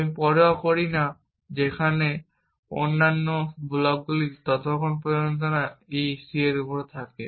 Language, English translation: Bengali, I do not care where the other blocks are as long as e is on c and c is on f, then I am happy